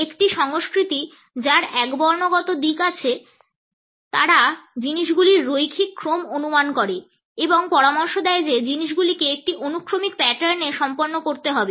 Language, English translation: Bengali, A culture which has a monochronic orientation assumes our linear order of things and it suggests that things have to be completed in a sequential pattern